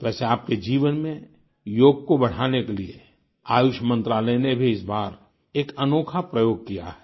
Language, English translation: Hindi, By the way, the Ministry of AYUSH has also done a unique experiment this time to increase the practice of yoga in your life